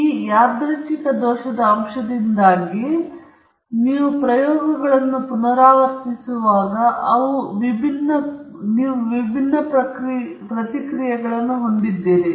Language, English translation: Kannada, But, because of this random error component you are having different responses when you repeat the experiments